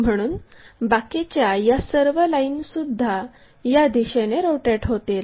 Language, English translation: Marathi, So, all this line has to be rotated in that direction